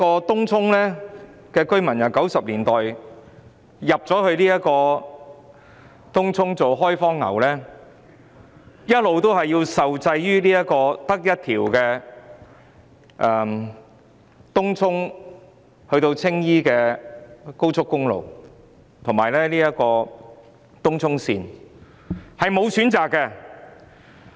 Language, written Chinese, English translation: Cantonese, 東涌居民由1990年代開始遷入作開荒牛，一直受制於唯一一條連接東涌至青衣的高速公路及東涌綫，別無他選。, Since the 1990s Tung Chung residents began to move into the area as the first occupants of this barren land . All along they have been subject to the constraint of having only one expressway that connects Tung Chung to Tsing Yi and also the Tung Chung Line without any alternatives